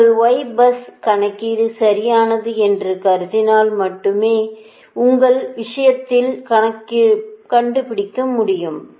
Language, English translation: Tamil, only in that case will assume that your y bus calculation is correct, right